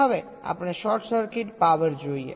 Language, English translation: Gujarati, now we look at short circuit power